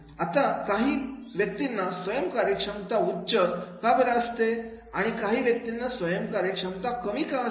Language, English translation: Marathi, Now, why some people have high self afficcacity and some people have the low self afficacy